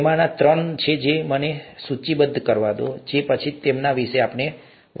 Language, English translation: Gujarati, There are three of them, let me list and then talk about them